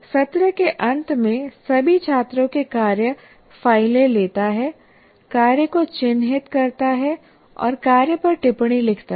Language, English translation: Hindi, And then at the end of the session, he collects the work, takes the work of all the students home, marks the work and writes comments on the work